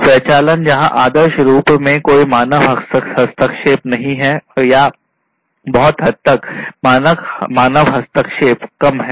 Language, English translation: Hindi, Automation where there is no human intervention ideally or to a large extent, there is reduced human intervention